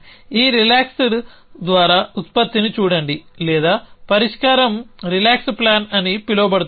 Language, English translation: Telugu, Look at the solution produce by this relaxed or as the solution is call the relax plan